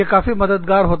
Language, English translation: Hindi, And, it is very helpful